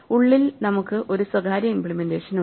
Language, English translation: Malayalam, Inside we have a private implementation